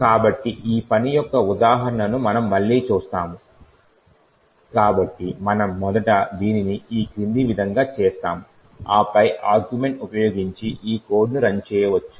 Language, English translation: Telugu, So, we will see an example of this working again, so we first make this as follows, okay and then we can run this particular code using this argument